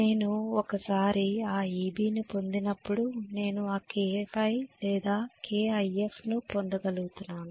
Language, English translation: Telugu, So once I get my Eb I can say I would be able to get my K5 or K times IF whatever